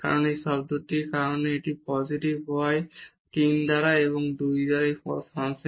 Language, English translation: Bengali, Because, of this term here delta x and the positive power 3 by 2 and this is bounded function